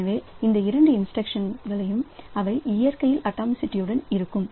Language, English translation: Tamil, So, both of these two instructions so they are going to be atomic in nature